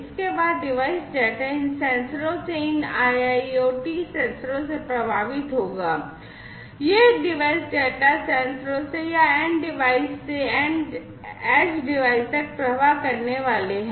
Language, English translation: Hindi, Next, the device data will flow from these sensors these IIoT sensors, these device data are going to flow from the sensors or, the end devices to the edge device, right